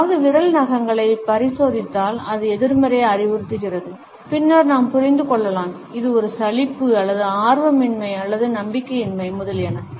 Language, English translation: Tamil, If someone inspects the fingernails, it suggests negativity and then we can understand, it as a boredom or disinterest or lack of confidence, etcetera